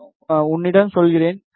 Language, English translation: Tamil, I will tell you